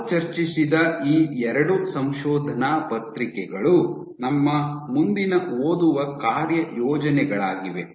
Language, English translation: Kannada, These 2 papers that we discussed would be our next reading assignments